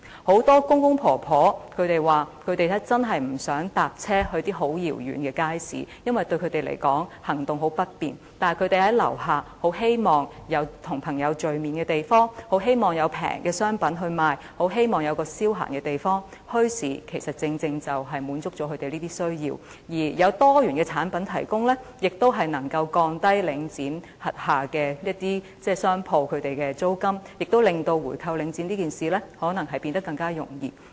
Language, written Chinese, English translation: Cantonese, 很多公公婆婆說他們真的不願意乘車到遙遠的街市，因為他們行動相當不便，而且他們很希望在居所樓下便有跟朋友聚會的地方，很希望有便宜的商品發售，很希望有一個消閒的地方，墟市正正可以滿足他們這些需要，而多元產品的提供，也可降低領展轄下商鋪的租金，亦可能令回購領展變得更為容易。, Many elderly people said that they really do not wish to travel to a faraway market because they cannot move around easily . Besides they very much hope to have a place just downstairs of their home where they can meet up with friends and they very much hope to have shops where less expensive goods are sold . They hope to have a place to go for leisure and bazaars can precisely meet these needs of the elderly and the provision of a diversified range of products can also help reduce the rental of shops under Link REIT and may hence make it easier to buy back Link REIT